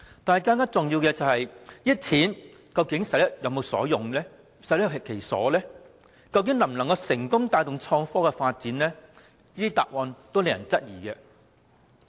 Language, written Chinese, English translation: Cantonese, 不過，更重要的問題是，這些錢是否用得其所及能否成功帶動創科發展，但在在都令人質疑。, Having said that I must ask a more important question Will these funds be spent properly to bring success in IT development? . It is really a question which raises doubts